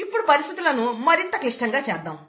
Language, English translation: Telugu, Let us complicate things even further